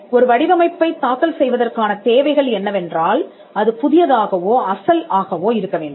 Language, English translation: Tamil, The requirements for filing a design is that it has to be new or original